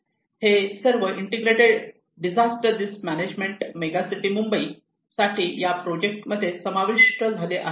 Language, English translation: Marathi, They were involved in this project for integrated disaster risk management megacity Mumbai